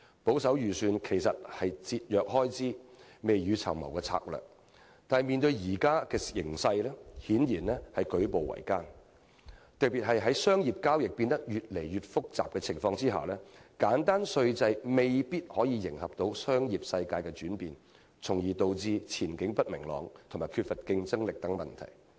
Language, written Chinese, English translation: Cantonese, 保守預算原本是節約開支、未雨綢繆的策略，但面對現今形勢，顯然令我們舉步維艱，特別是在商業交易變得越來越複雜的情況下，簡單稅制未必能夠迎合商業世界的轉變，從而導致前景不明朗及缺乏競爭力等問題。, While having a conservative budget is meant to be a strategy against a rainy day by cutting expenditure our hands have become tied as we face the current situation particularly when business transactions have become increasingly complicated and a simple tax system can hardly meet the changes in the business world . As a result we are now plagued by problems such as uncertainties and waning competitiveness